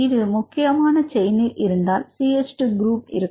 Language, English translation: Tamil, If the main chain; you can see one CH2 group